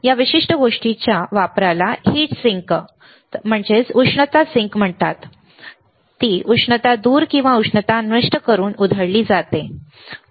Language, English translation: Marathi, The use of this particular thing is called heat sink to take away the heat or dissipate the heat